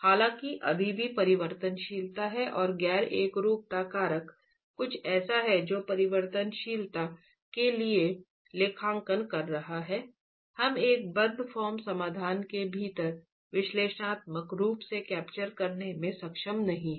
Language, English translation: Hindi, However, there is still variability and the non uniformity factor is something that is accounting for the variability that we are not able to capture analytically within the, within a close form solution itself